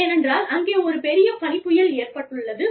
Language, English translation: Tamil, Because, for whatever reason, there is been a massive snowstorm